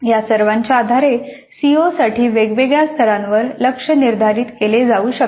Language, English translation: Marathi, Based on all these the COs can be set the targets can be set for COs at different levels